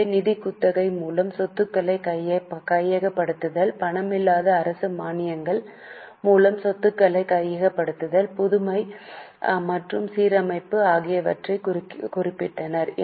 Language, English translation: Tamil, So, just note it, acquisition of property by means of financial lease, acquisition of property of non cash government grants, innovation and restructuring